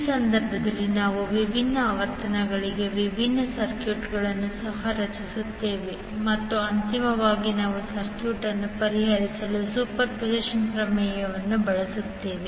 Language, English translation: Kannada, So, in this case we will also create the different circuits for different frequencies and then finally we will use the superposition theorem to solve the circuit